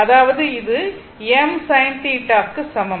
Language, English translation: Tamil, And A B is equal to I m sin theta, right